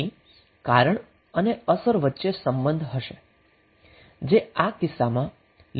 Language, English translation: Gujarati, So the cause and effect will be having the relationship, which is linear in this case